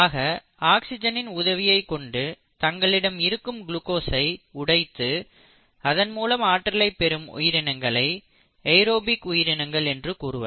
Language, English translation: Tamil, So, those organisms which break down glucose with the aid of oxygen are called as the aerobic organisms